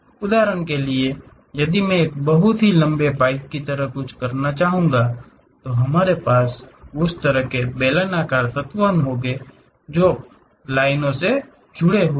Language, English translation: Hindi, For example, if I would like to have something like a very long pipe, then we will have that kind of cylindrical elements many connected line by line